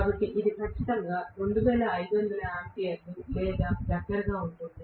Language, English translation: Telugu, So this will be definitely close to some 2500 ampere or something